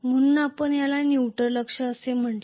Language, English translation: Marathi, So, we called this as a neutral axis